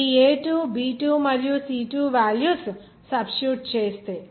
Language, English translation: Telugu, If substitute this a2 b2 and c2 value